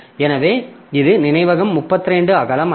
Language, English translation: Tamil, So, this is memory is not 32 bit wide